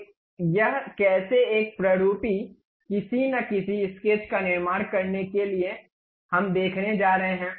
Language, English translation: Hindi, So, how to construct it a typical rough sketch, we are going to see